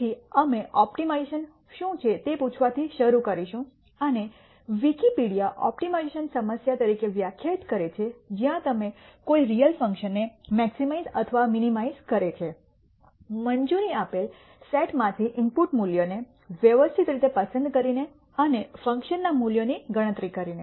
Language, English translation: Gujarati, So, we will start by asking what is optimization and Wikipedia defines optimization as a problem where you maximize or minimize a real function by systematically choosing input values from an allowed set and computing the value of the function, we will more clearly understand what each of these means in the next slide